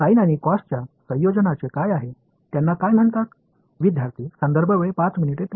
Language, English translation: Marathi, What about combination of sine and cos what are they called